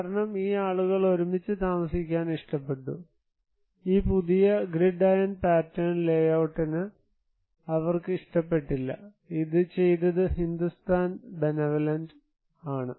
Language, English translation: Malayalam, Because, these people preferred to live together, they did not like this new iron grid pattern of layout, it was done by the Hindustan Benevolent